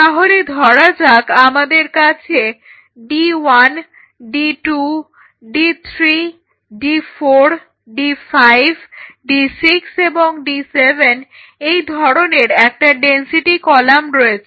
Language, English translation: Bengali, So, in other words if I have a density column like this of say d 1 d 2 d 3 d 4 d 5 d 6 d 7, d 1 d 2